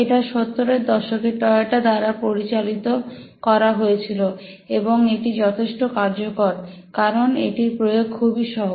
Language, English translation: Bengali, This is popularized by Toyota in the 70s almost and it's quite effective because it's so simple to use